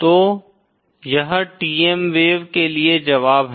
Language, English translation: Hindi, So this is the solution for the TM wave